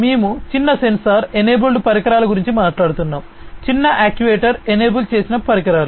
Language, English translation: Telugu, We are talking about small sensor enable devices small actuator enabled devices